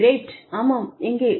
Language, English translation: Tamil, great, yeah, where